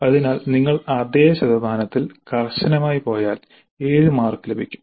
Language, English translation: Malayalam, So if you go strictly by the same percentage then we get 7 marks